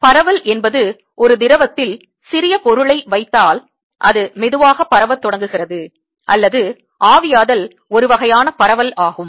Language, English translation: Tamil, diffusion is where if you put some material in a fluid, it starts diffusing slowly, or evaporation is also kind of diffusion, if you like, loosely